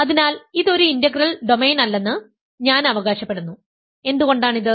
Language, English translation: Malayalam, So, I claim that this is not an integral domain, why is this